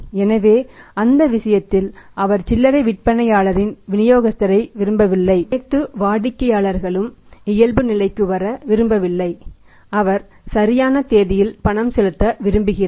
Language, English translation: Tamil, So, in that case he does not want the distributor of the retailer all the customer does not want to default he wants to make the payment on due date